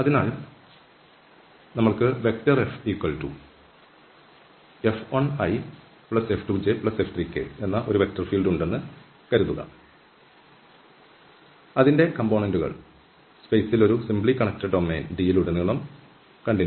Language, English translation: Malayalam, So, suppose we have F 1, F 2, F 3 this a vector field whose components are continuous throughout a simply connected region D in space